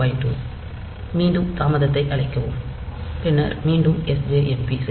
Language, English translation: Tamil, 2 then again call delay and then sjmp back